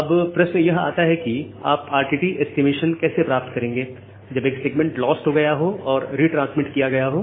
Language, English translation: Hindi, Now, another question comes which is like how will you get the RTT estimation when a segment is lost and retransmitted again